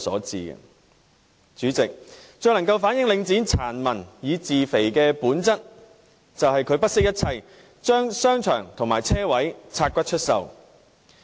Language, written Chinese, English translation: Cantonese, 主席，最能夠反映領展"殘民以自肥"的本質，就是它不惜一切，將商場和車位"拆骨"出售。, President what is the most telling of the nature of Link REIT to fleece people for its own benefit is its all - out effort to parcel out its shopping centres and car parks for sale